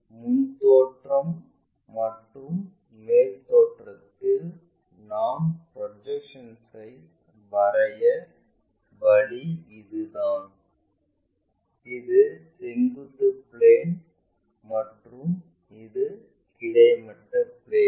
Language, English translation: Tamil, This is the way we draw projections in the front view and also in the top view, this is the vertical plane, this is the horizontal plane